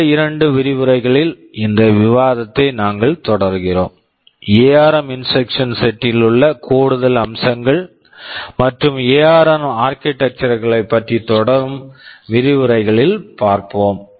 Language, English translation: Tamil, We shall be continuing this discussion over the next couple of lectures where we shall be looking at some of the more additional features that are there in the ARM instruction set and also the ARM architectures